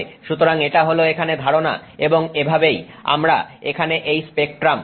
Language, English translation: Bengali, So, that is the idea here and that's how we use this spectrum here